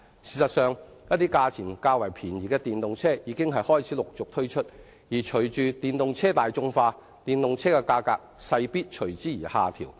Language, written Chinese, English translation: Cantonese, 事實上，一些價錢較便宜的電動車已開始陸續推出，而隨着電動車大眾化，價格勢必隨之而下調。, As a matter of fact some low - priced EVs have started to emerge in the market . With the popularization of EVs their prices will certainly drop